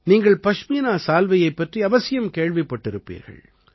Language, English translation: Tamil, You certainly must have heard about the Pashmina Shawl